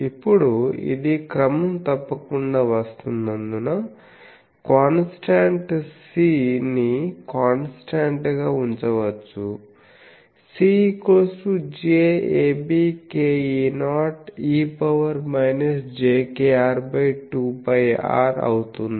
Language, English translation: Telugu, Now, since it is coming regularly, so we can put that constant as is constant C which is j a b k E not e to the power minus j k r by 2 pi r